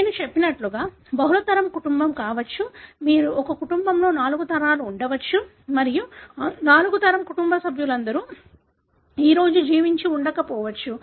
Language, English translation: Telugu, As I said there could be multi generation family; you may have four generations in a family and not all the members of that four generation family may be alive today